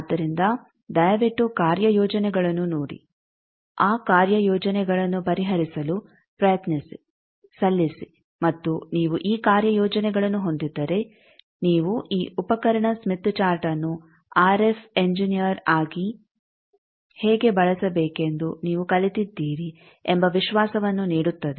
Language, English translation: Kannada, So please go through the assignments try solve those assignments submit and if you can have this assignments then it will give you confidence that you have learnt something how to use this tool smith chart as an RF engineer